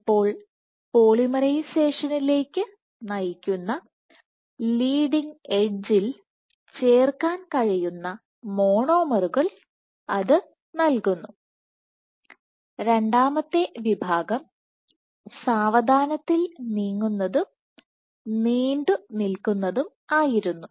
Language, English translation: Malayalam, So, the monomers get provided they can get added at the leading edge leading to polymerization and the second class was slow moving and long lasting